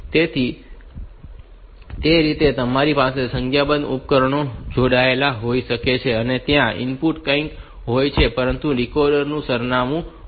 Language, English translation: Gujarati, So, that way you can have a number of devices connected and this decoder can be the address whatever is put